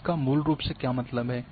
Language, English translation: Hindi, What does it mean basically